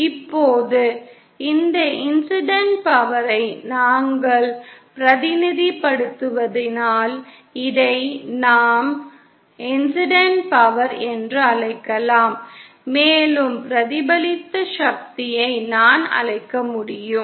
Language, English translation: Tamil, Now, if we represent this incident power so this I can call incident power and this I can call the reflected power